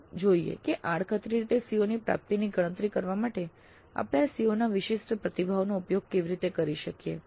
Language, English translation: Gujarati, Then let us see how we can use this CO specific responses to compute the attainment of the Cs in an indirect fashion